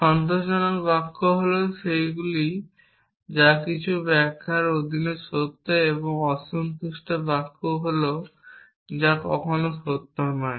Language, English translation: Bengali, Satisfiable sentences are those which are true under some interpretations and unsatisfiable sentences are those which are never true